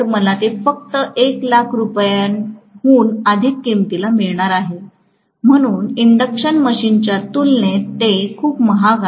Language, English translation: Marathi, I am going to get it only for more than 1 lakh rupees, so it is very costly compared to the induction machine